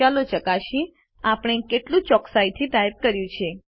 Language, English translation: Gujarati, Lets check how accurately we have typed